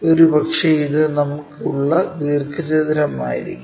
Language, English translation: Malayalam, Maybe this is the rectangle what we have